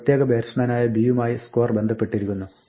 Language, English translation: Malayalam, The score is associated with a particular batsman b